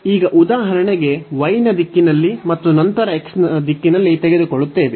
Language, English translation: Kannada, So, we will take now for example, in the direction of y first and then in the direction of x